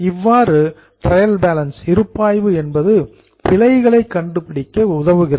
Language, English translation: Tamil, This is how trial balance helps you to find out the errors